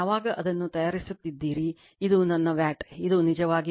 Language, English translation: Kannada, When we are, you are making it, this is my watt, this is actually watt right, and this is my var right